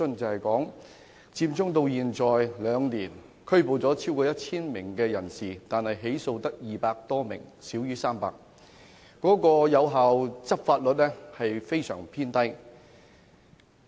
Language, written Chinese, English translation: Cantonese, 佔中至今已有兩年，合共拘捕超過1000人，但只有200多人被起訴，少於300人，執法率異常偏低。, Occupy Central has ended for two years and so far a total of over 1 000 people have been arrested . However only 200 - odd people less than 300 have been prosecuted the rate of prosecution is exceptionally low